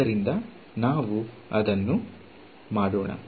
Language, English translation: Kannada, So, let us just do that